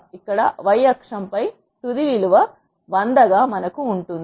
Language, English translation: Telugu, We have the final value here on the y axis as 100